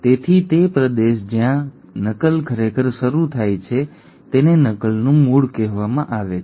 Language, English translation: Gujarati, So that region where the replication actually starts is called as the origin of replication